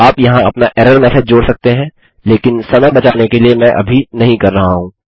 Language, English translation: Hindi, You can add your own error message in here but to save time, I am not going to right now